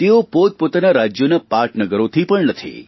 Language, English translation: Gujarati, They do not even come from the capital cities of their respective states